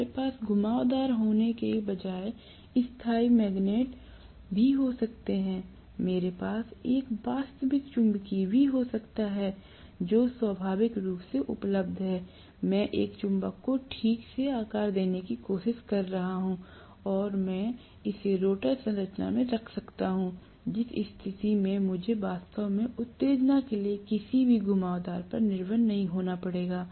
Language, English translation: Hindi, We can also have permanent magnets rather than having winding, I can also have a real magnetic which is naturally available, I can try to make a magnet properly shaped and I can put it in rotor structure, in which case I do not have to really depend upon any winding for the excitation